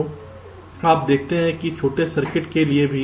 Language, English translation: Hindi, so you see that even for the small circuit